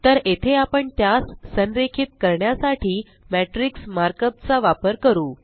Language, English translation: Marathi, So, here we can use the matrix mark up to align them